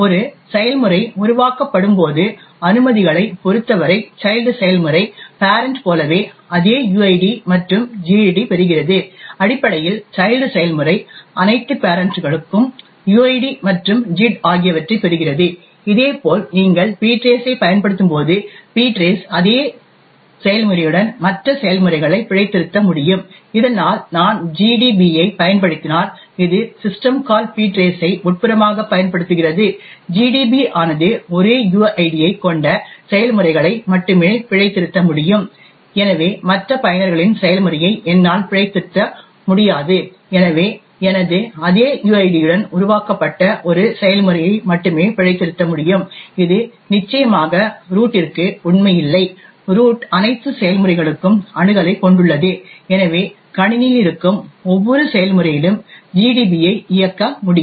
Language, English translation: Tamil, With respect to the permissions when a process gets created the child process gets the same uid and gid as the parent, essentially the child process inherits all the parents uid and gid as well, similarly when you are using ptrace, ptrace can debug other processes with the same uid, thus if I use GDB for example which internally uses the system call ptrace, GDB can only debug processes which have the same uid, therefore I will not be able to debug other users process, so I will only be able to debug a process which is created with my same uid, this of course does not hold true for root, the root has access to all processes and therefore can run GDB on every process present in the system